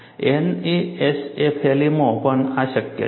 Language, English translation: Gujarati, This is also possible in NASFLA